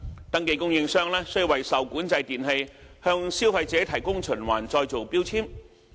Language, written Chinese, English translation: Cantonese, 登記供應商須為受管制電器向消費者提供循環再造標籤。, A registered supplier must provide a recycling label for each item of REE for consumers